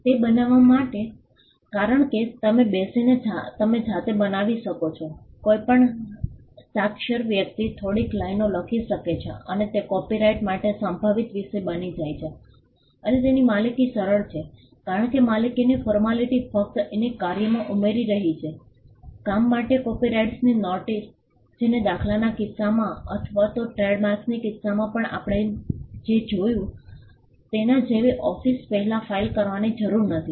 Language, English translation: Gujarati, To create because you can sit and create it on your own, any literate person can compose a few lines and it becomes a potential subject matter for copyright and it is easy to own because the formality of owning is just adding this to the work adding a copyright notice to the work which again does not require filing before up a office like what we saw in the case of patterns or even in the case of trademarks